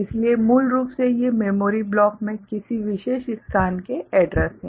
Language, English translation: Hindi, So, basically these are the addressing of a particular location in the memory block